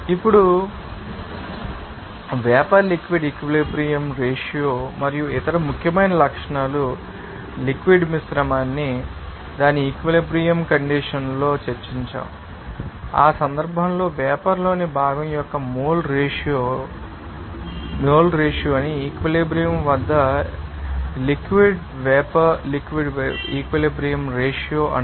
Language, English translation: Telugu, Now, then vapor liquid equilibrium ratio and other important properties have discussed liquid mixture at its equilibrium condition, in that case the mole ratio of the component in the vapor to the liquid at equilibrium is called the vapor liquid equilibrium ratio